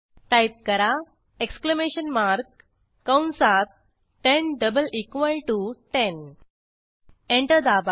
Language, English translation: Marathi, Type Exclamation mark within brackets 10 double equal to 10 Press Enter